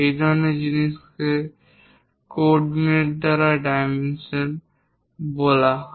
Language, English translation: Bengali, This kind of thing is called dimensioning by coordinates